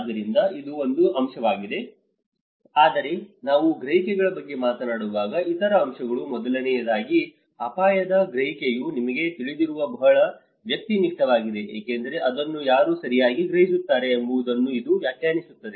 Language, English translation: Kannada, So, this is of one aspect, but other aspects is when we talk about perceptions, first of all perception of a risk itself is a very subjective you know because it also defined from who is perceiving it right